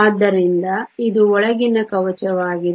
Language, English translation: Kannada, So, this is an inner shell